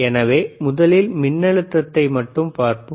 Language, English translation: Tamil, So, let us first see just the voltage